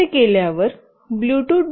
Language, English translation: Marathi, After doing this, the bluetooth